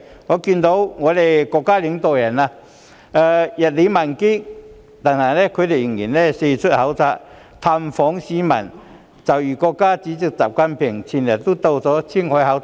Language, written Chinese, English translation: Cantonese, 我看到國家領導人日理萬機，但他們仍然四出考察、探訪市民，就如國家主席習近平日前到了青海考察。, I have noticed that although the leaders of our country have to deal with many important matters every day they still travel a lot to reach out to people in different places eg . President XI Jinping just visited Qinghai a few days ago